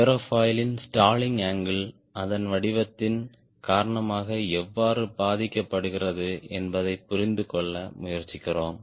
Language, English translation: Tamil, we also try to understand how the stalling angle of an aerofoil gets affected because of its shape